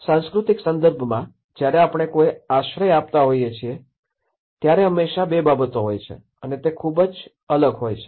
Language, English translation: Gujarati, In a cultural context, when we are providing a shelter, there is always two and they are very distinct